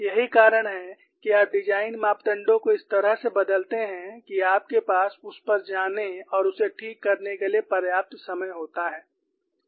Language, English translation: Hindi, That is why you alter the design parameters in such a manner that you have sufficient time to go and attend on to it, let us look at this